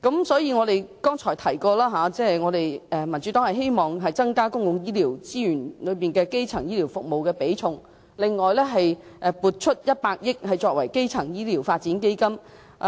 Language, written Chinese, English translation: Cantonese, 所以，我剛才提到民主黨希望增加基層醫療服務佔公共醫療資源的比重，並撥出100億元作為基層醫療發展基金。, So just now I said the Democratic Party hoped that primary health care could be given more weighting in public health care resources together with the allocation of 10 billion for setting up a primary health care development fund